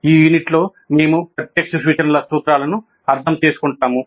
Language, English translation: Telugu, So in this unit, we'll understand the principles of direct instruction